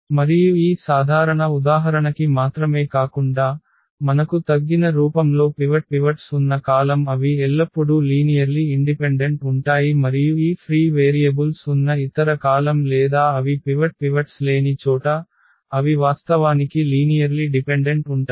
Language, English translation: Telugu, And this is the general result also not just for this particular example that the columns which we have the pivots in its reduced form they are linearly independent always and the other columns which have these free variables or where they do not have the pivots, they actually are linearly dependent